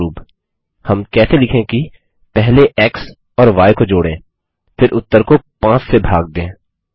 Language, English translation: Hindi, For example, how do we write First add x and y, then divide 5 by the result